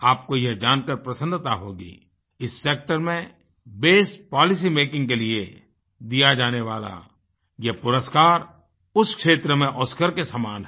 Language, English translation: Hindi, You will be delighted to know that this best policy making award is equivalent to an Oscar in the sector